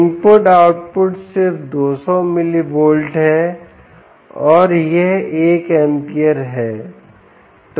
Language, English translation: Hindi, the input output is just two hundred milli volts and its one amp